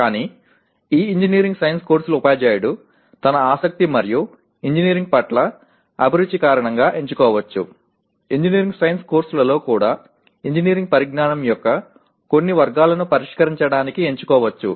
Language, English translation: Telugu, But a teacher of this engineering science courses may choose because of his interest and passion for engineering may choose to address some categories of engineering knowledge even in engineering science courses